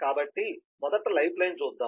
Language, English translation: Telugu, so first let us look at a lifeline